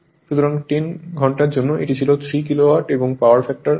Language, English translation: Bengali, So, for 10 hour, it was 3 Kilowatt, power factor 0